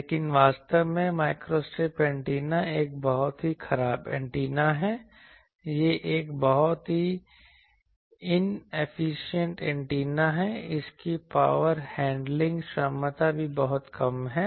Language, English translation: Hindi, But, actually antenna wise microstrip antenna is a very very bad antenna, it is a very inefficient antenna also it cannot handle power, it is power handling capability is very less